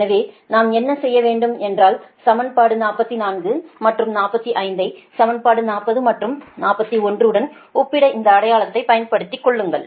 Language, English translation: Tamil, so in that case, what we could, we can do is you compare equation forty four and forty five with equation forty and forty one and make use of, make making use of this identity, right